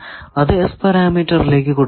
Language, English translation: Malayalam, So, now, we put it into the S parameter